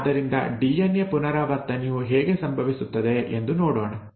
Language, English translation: Kannada, So let us look at how DNA replication happens